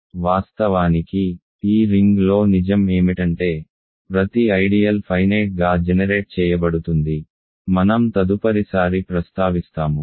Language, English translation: Telugu, In fact, what is true in this ring is that, every ideal is finitely generated that I will mention next time